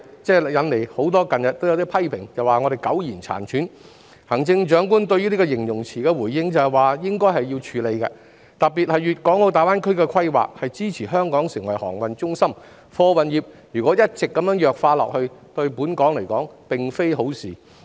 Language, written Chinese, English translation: Cantonese, 近日有很多批評說我們苟延殘喘，行政長官對這個形容詞的回應是"應該要處理"，特別是粵港澳大灣區的規劃都是支持香港成為航運中心的，如果貨運業一直弱化下去，對香港來說並非好事。, In recent days there have been many criticisms that we are at our last gasp . The Chief Executives response to this description is that we should deal with it . Particularly given that the planning of the Guangdong - Hong Kong - Macao Greater Bay Area supports Hong Kong in becoming a maritime centre any further weakening of the freight transport industry is not a good thing for Hong Kong